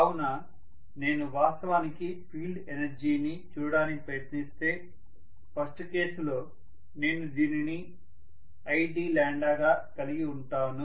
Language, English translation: Telugu, So if I try to look at actually the field energy, in the first case I should have actually this as id lambda this entire area